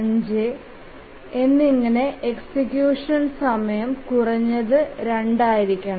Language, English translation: Malayalam, So the task execution time has to be at least 2